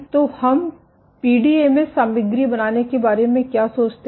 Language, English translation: Hindi, So, how do we go about making a PDMS material